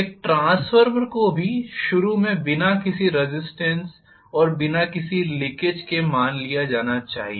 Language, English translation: Hindi, A transformer also be initially started assuming without any resistance and without any leakage